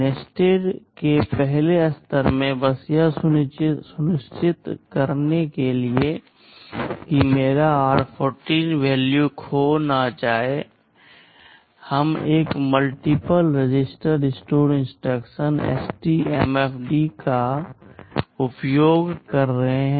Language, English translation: Hindi, In the first level of nesting, just to ensure that my r14 value does not get lost, we are using a multiple register store instruction STMFD